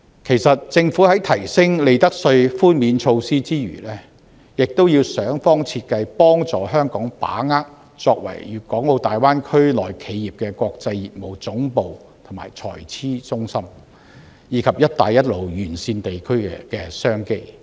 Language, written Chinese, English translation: Cantonese, 其實政府除提升利得稅寬免措施外，也要想方設法協助香港把握作為粵港澳大灣區內企業的國際業務總部和財資中心，以及"一帶一路"沿線地區的商機。, In fact apart from enhancing the tax reduction measure for profits tax the Government should also strive to help Hong Kong to enshrine its role as the international business headquarters and financing centre for enterprises in the Guangdong - Hong Kong - Macao Greater Bay Area and to seize business opportunities in the regions along the Belt and Road